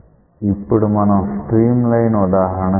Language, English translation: Telugu, Let us look into a stream line example